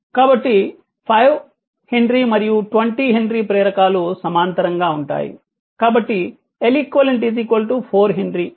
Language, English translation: Telugu, So, 5 ohm 5 ohm henry and 20 henry inductors are in parallel therefore, l equivalent is equal to 4 henry right